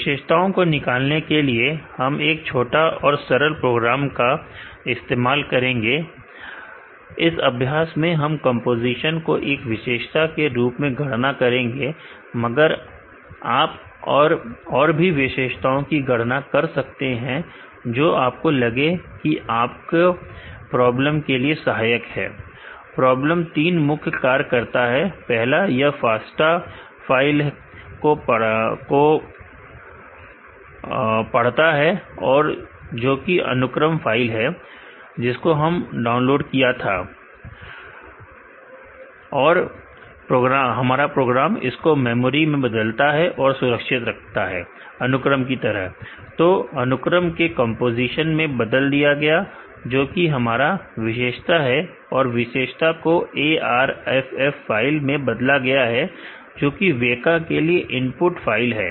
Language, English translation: Hindi, To extract the features, we will use a short a simple program, will calculate composition as the features in this exercise, but you can calculate other features, which you think will be useful for the your problem, the program does three main tasks first it read the FASTA file that is sequence file, which we downloaded and convert and stored in the memory as sequence and, this sequence is converted two composition which is our feature and features are converted to ARFF file which is a input file for WEKA